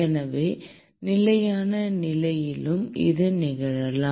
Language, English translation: Tamil, So, this can happen when at steady state as well